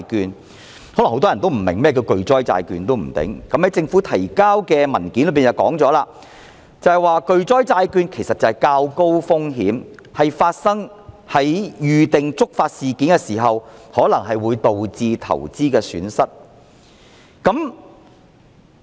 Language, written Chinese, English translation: Cantonese, 也許很多人並不明白甚麼是巨災債券，政府提交的文件已說明，其實巨災債券即是較高風險的投資工具，在發生預定觸發事件時可能導致的投資損失。, Perhaps many people do not understand what catastrophe bonds are . According to the Governments papers catastrophe bonds are actually investment tools of higher risks which may bear the potential for loss of investment when a predefined trigger event occurs